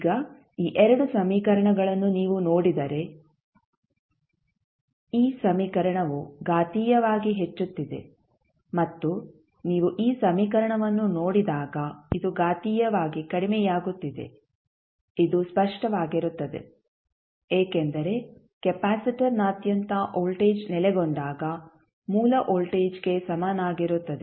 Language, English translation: Kannada, Now, if you see these 2 equations this equation is increasing exponentially and when you see this equation this is decreasing exponentially which is obvious because when the voltage settles across the capacitor equals to the source voltage